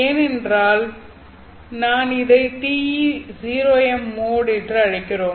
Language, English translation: Tamil, And because of that we call this as T is 0M mode